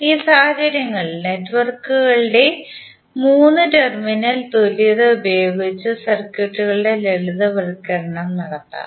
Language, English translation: Malayalam, So in these cases, the simplification of circuits can be done using 3 terminal equivalent of the networks